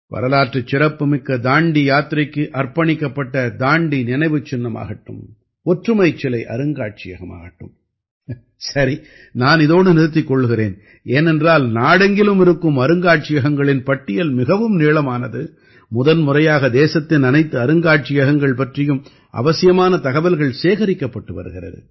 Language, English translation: Tamil, Whether it is the Dandi Memorial dedicated to the historic Dandi March or the Statue of Unity Museum,… well, I will have to stop here because the list of museums across the country is very long and for the first time the necessary information about all the museums in the country has also been compiled